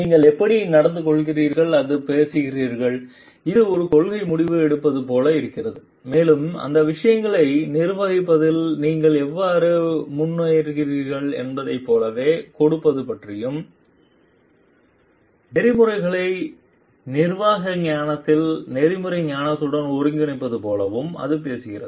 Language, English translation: Tamil, And how you behave or you talk and it like it is a principle decision making and it talks of giving like you are like how you move forward managing those things and the integrating ethics into ethics wisdom into the management wisdom